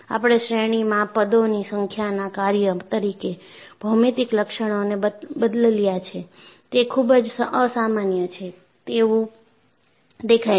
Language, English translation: Gujarati, But the geometric features change as a function of number of terms in the series, very unusual